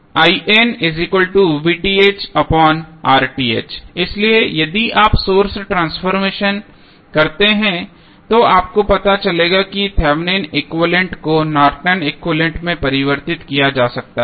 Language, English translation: Hindi, So, if you carry out the source transformation you will come to know that the Thevenin equivalent can be converted into Norton's equivalent